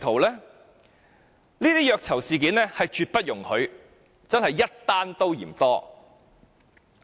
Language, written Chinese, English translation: Cantonese, 這些虐囚事件是絕不容許，真的是一宗也嫌多。, Torture of prisoners must be eliminated . These incidents must not happen anymore